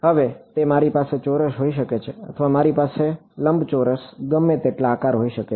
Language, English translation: Gujarati, Now, it I can have a square or I can have a rectangular any number of shapes I can have right